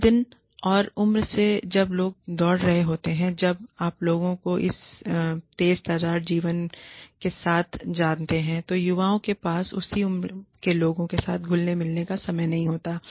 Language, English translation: Hindi, In this day and age, when people are running, when people are, you know, with this fast paced life, youngsters do not have the time, to mingle, with people of the same age